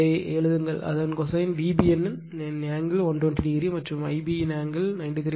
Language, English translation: Tamil, And just write it , cosine of it is angle of theta V B N is 120 degree , and angle of I b is 93